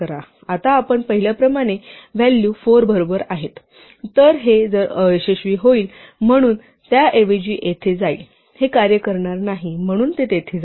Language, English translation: Marathi, Now as we saw if the values 4 right then this if will fail, so it will instead go here, this won't work, so it will go here